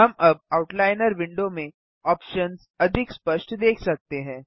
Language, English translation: Hindi, We can see the options in the Outliner window more clearly now